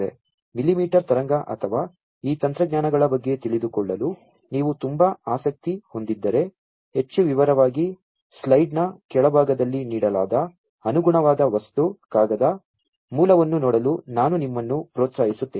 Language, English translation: Kannada, So, you know, in case you are very much interested to know about millimetre wave or any of these technologies, in much more detail, I would encourage you to go through the corresponding material, the paper, the source, that is given at the bottom of the slide